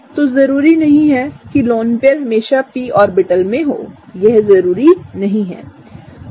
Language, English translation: Hindi, So, not necessarily the lone pair is always in the p orbital; that is not always the case